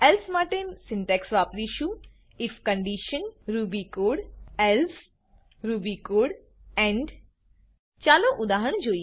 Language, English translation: Gujarati, The syntax for using elsif is: if condition ruby code elsif condition ruby code else ruby code end Let us look at an example